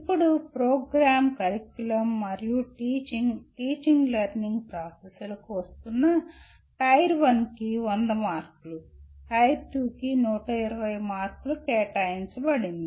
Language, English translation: Telugu, Now coming to program, curriculum and teaching, teaching learning processes, Tier 1 carries 100 marks and Tier 2 carries 120 marks